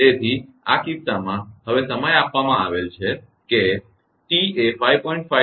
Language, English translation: Gujarati, So, in this case now time is given that t is equal to 5